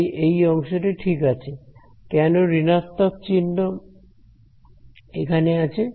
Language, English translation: Bengali, So, this term is fine why is there a minus sign over here